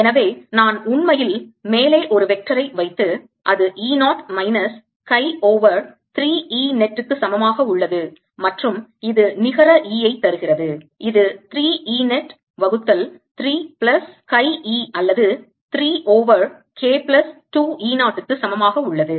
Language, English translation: Tamil, is equal to e zero minus chi over three net, and this gives e net is equal to three e zero divided by three plus chi e, or three over k plus two e zero